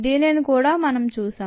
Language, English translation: Telugu, that is also known